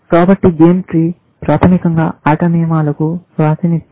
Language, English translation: Telugu, So, a game tree is basically, a representation of the rules of the game